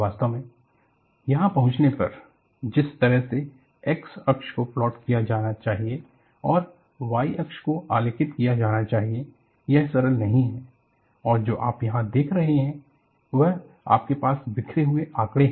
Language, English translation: Hindi, In fact, arriving at, what should be the way x axis to be plotted and y axis to be plotted is not simple and what you see here is, you have a scatter of data